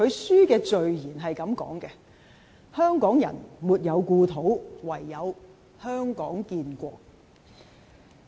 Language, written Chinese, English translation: Cantonese, 書的序言是這樣說的，"香港人沒有故土，唯有香港建國"。, The last paragraph of the preface of the book reads to this effect Hong Kong people have no homeland formation of a Hong Kong nation is the only way